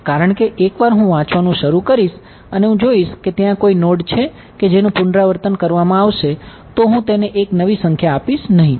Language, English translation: Gujarati, Because once I start reading and I will see if there is any node will be repeated, I will not give a new number to it right